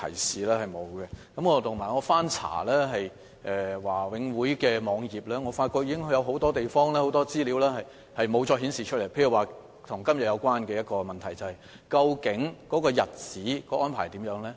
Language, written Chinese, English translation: Cantonese, 此外，我曾翻查華永會的網頁，發覺有很多資料已無法再顯示，例如與今天這項質詢有關的一些資料，即日期方面的安排。, Also after browsing the website of the Board I have noticed that a lot of information no longer exists such as some timing information relating to this question